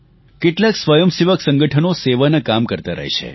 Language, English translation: Gujarati, Many volunteer organizations are engaged in this kind of work